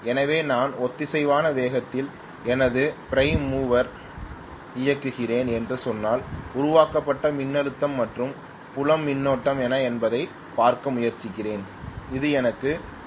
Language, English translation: Tamil, So if I say that at synchronous speed if I am running my prime mover and I am trying to look at what is the generated voltage versus field current that gives me the OCC